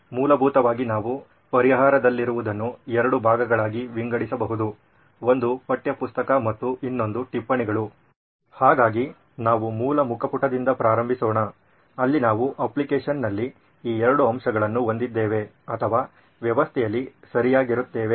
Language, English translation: Kannada, Essentially what we have in the solution would broadly be classified into two, one is the textbook and 1, the other would be the notes, so let us start with a basic homepage where we have these 2 aspects in the application or the system right